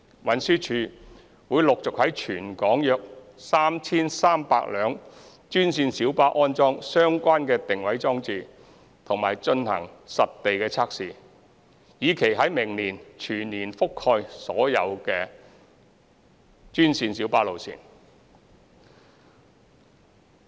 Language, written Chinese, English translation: Cantonese, 運輸署會陸續在全港約 3,300 部專線小巴安裝相關定位裝置及進行實地測試，以期在明年全面覆蓋所有的專線小巴路線。, With a view to fully covering all GMB routes by next year TD will progressively install location detection devices and conduct field testing on around 3 300 GMBs in Hong Kong